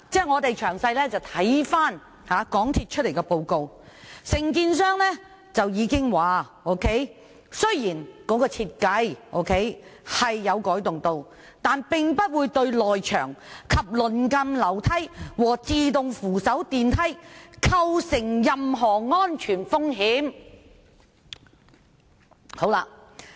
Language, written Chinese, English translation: Cantonese, 我們詳細閱讀港鐵公司的報告，當中承建商已經指出，設計雖然有改動，但不會對內牆及鄰近樓梯和自動扶手電梯構成任何安全風險。, We have carefully read MTRCLs report . The contractor points out that although there are changes to the design the safety of the internal wall and the adjacent staircases and escalators will not be affected